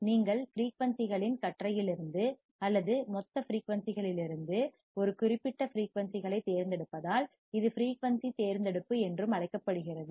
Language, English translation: Tamil, It is also called frequency selectivity because you are selecting a particular frequency from the band of frequencies or from the total frequencies